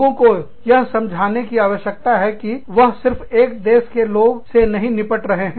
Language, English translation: Hindi, People, need to understand, that they are not dealing with, one country alone